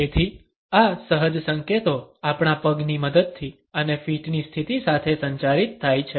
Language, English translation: Gujarati, So, these instinctive signals are communicated with a help of our legs and the positioning of the feet